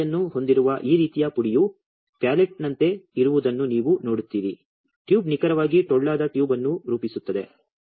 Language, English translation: Kannada, You see that this is just like a pallet this kind of powder with having a porosity the tube exactly it forms a hollow tube